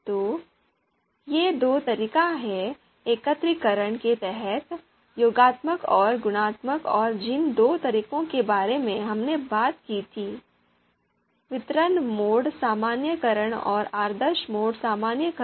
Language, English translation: Hindi, So these are two methods in under aggregation, additive and multiplicative and two modes we talked about, the distributive mode normalization and the ideal mode normalization